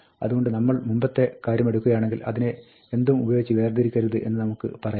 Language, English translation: Malayalam, So, for example, if we take the earlier thing, we can say, do not separate it with anything